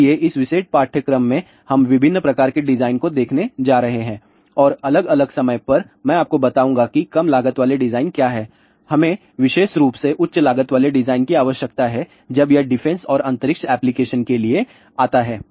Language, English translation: Hindi, So, in this particular course we are going to look at different types of design and at different times I will tell you about what are the low cost design and where we need a high cost design specially when it comes to the defense and space application, where performance is much more important and when we talk about commercial application then the cost is more important